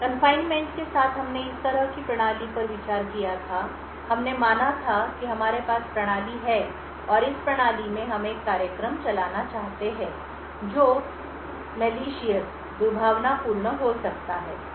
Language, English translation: Hindi, With the confinement we had considered a system like this, we had considered that we have system, and in this system, we wanted to run a program which may be malicious